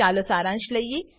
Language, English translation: Gujarati, lets just summarize